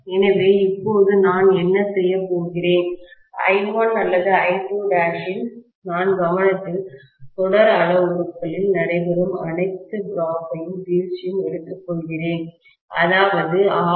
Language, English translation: Tamil, So, now what I am doing is I1 or I2 dash I take into consideration and I take all the drops that are taking place in the series parameters, like R1, R2 dash, X1, X2 dash